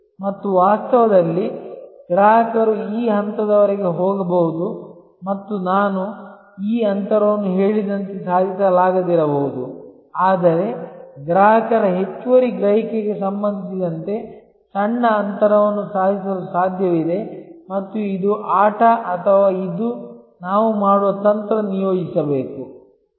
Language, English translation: Kannada, And in reality the customer may go up to this point and so as I said this gap, may not be achievable, but smaller gap in terms of consumer surplus perception may be possible to achieve and this is the game or this is the strategy that we have to deploy